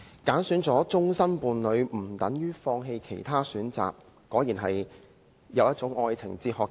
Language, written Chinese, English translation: Cantonese, "挑選了終生伴侶，不等於放棄其他選擇"，這果真是陳帆的一種愛情哲學。, Having chosen a lifelong partner does not mean giving up other choices . Mr Frank CHAN has indeed put forward a kind of love philosophy